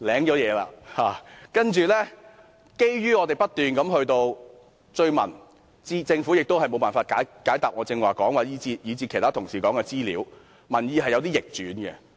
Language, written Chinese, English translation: Cantonese, 但是，後來情況逆轉，基於我們不斷追問，政府亦無法解答我以至其他同事提問的資料，民意便有所逆轉。, But the matter later took an opposite turn . Governments popularity dropped when it was unable to respond to the questions other colleagues and I asked